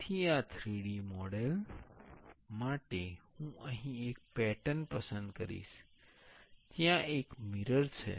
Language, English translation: Gujarati, So, for mirroring in this 3D model, I will select here the in a pattern, there is a mirror